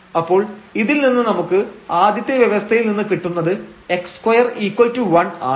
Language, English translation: Malayalam, So, out of these what we get so from this first condition we are getting like x square is equal to 1